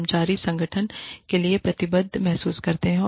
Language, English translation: Hindi, The employees feel committed, to the organization